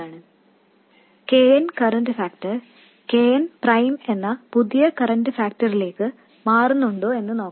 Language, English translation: Malayalam, And let's look at if KN, the current factor changes to a new current factor, KN prime